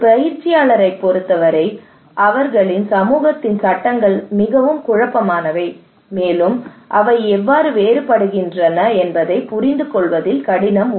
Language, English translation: Tamil, For a practitioner, laws of their community is very confusing that how they are different